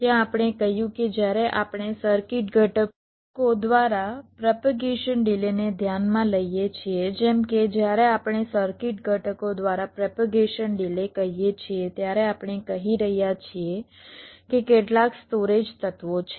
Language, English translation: Gujarati, so what we discussed when we discussed the clocking there, we said that when we consider propagation delays through circuit components, like when we say propagation delay through circuit components, we are saying that there are some storage elements